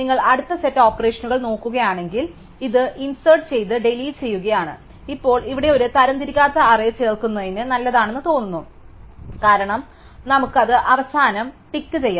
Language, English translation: Malayalam, So, if you look at the next set of operations, this is insert and delete, now here it turns out that an unsorted array is good for insert, because, we can just stick it at the end